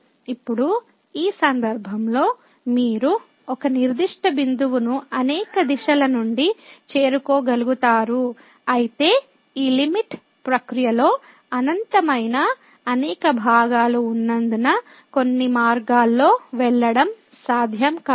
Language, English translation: Telugu, But now, in this case since you can approach to a particular point from the several direction, it is not possible to get as the along some path because there are infinitely many parts involved in this limiting process